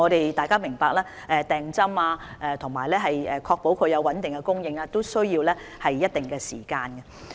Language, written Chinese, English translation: Cantonese, 大家要明白，訂購疫苗和確保穩定供應也需要一定的時間。, We should understand that it takes time to order vaccines and ensure a stable supply